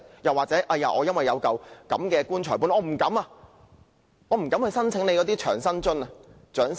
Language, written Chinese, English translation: Cantonese, 抑或要令他們由於有"棺材本"而不敢申請長者生活津貼？, Or do the authorities want them to be deterred from applying for the Old Age Living Allowance because they have some funeral money?